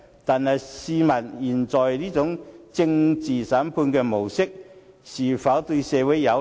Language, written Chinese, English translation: Cantonese, 但是，試問他們現在這種政治審判的模式，又是否對社會有利？, But given their present demand for a political trial what good can be done to society?